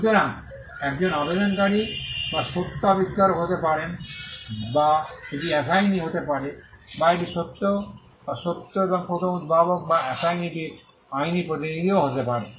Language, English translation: Bengali, So, an applicant can be the true or first inventor, or it can be assignee, or it could also be a legal representative of the true or true and first inventor or the assignee